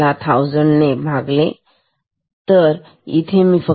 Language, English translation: Marathi, See, I take that this is divide by 1000